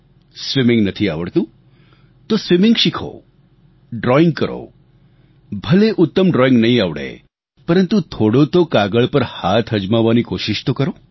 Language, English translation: Gujarati, If you don't know how to swim, then learn swimming, try doing some drawing, even if you do not end up making the best drawing, try to practice putting hand to the paper